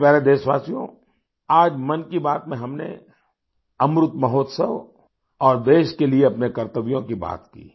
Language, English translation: Hindi, My dear countrymen, today in 'Mann Ki Baat' we talked about 'Amrit Mahotsav' and our duties towards the country